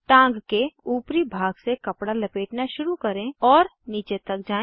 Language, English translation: Hindi, Start rolling from the upper portion of the leg and move downwards